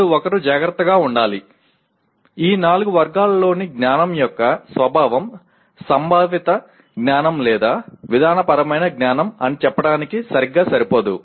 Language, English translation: Telugu, Now what one should be cautious about, the nature of knowledge in these four categories will not be exactly similar to let us say conceptual knowledge or procedural knowledge